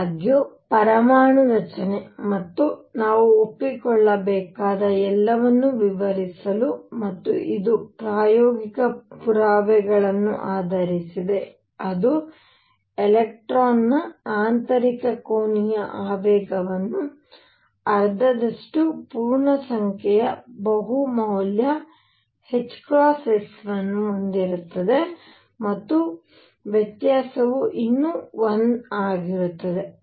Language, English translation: Kannada, However to explain atomic structure and all that we had to admit and this is based on experimental evidence, that spin the intrinsic angular momentum of an electron would have the value of half integer multiple of h cross, and the difference would still be 1